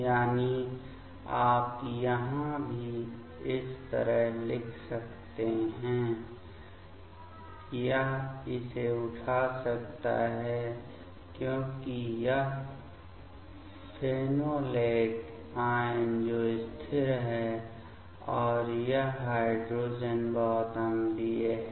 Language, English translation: Hindi, That means, here also you can write like this; it can pick up this because this phenolate anion that is stable and this one is pretty acidic this hydrogen